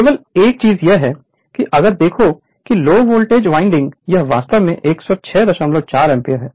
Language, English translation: Hindi, Only thing is that if you look into that current in the low voltage winding it is actually 106